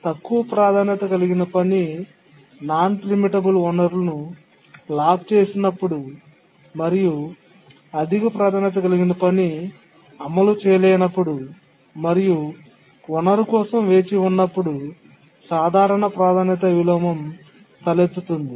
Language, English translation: Telugu, A simple priority inversion arises when a low priority task has locked a non preemptible resource and a higher priority task cannot execute and just waits for a resource